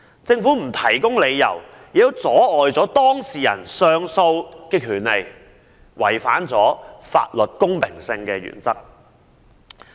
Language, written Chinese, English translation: Cantonese, 政府既不提供理由，又阻礙當事人行使上訴的權利，違反了法律公平性的原則。, Without giving any reason the Government has even prevented the person concerned from exercising his right to lodge an appeal hence it has violated the principle of equality before the law